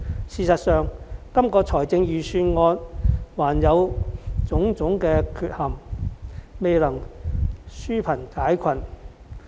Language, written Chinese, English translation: Cantonese, 事實上，這份預算案仍存在種種缺陷，未能紓貧解困。, In fact the Budget still has various defects and fails to address the poverty problem